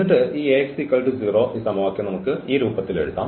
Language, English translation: Malayalam, And then this Ax is equal to 0, this equation we can write down in this form